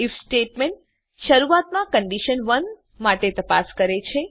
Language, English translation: Gujarati, If statement initially checks for condition 1